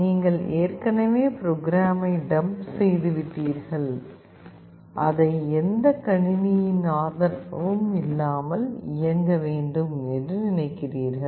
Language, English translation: Tamil, Let us say you have already dumped the program and you want it to run without the support of any PC anywhere